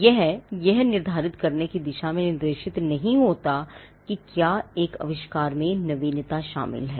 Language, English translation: Hindi, It is not directed towards determining whether an invention involves novelty